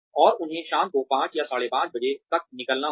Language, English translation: Hindi, And, they have to leave by 5:00 or 5:30 in the evening